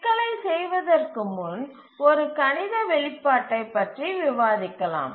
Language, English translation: Tamil, We'll just do the problem, let me just give you a mathematical expression